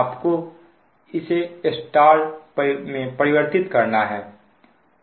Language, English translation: Hindi, you have to convert it to star